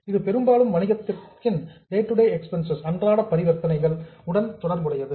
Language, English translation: Tamil, So, mostly it relates to day to day transactions of the business